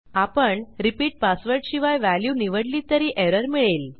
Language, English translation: Marathi, If I again choose a value except the repeat password, we still get this error